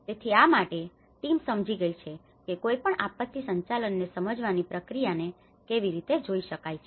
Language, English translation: Gujarati, So, for this, the team has understood that how one can look at the process of understanding the disaster management